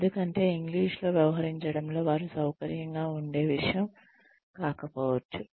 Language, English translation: Telugu, Because, English may not be something that, that they will feel comfortable dealing in